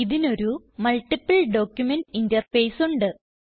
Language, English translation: Malayalam, It has a multiple document interface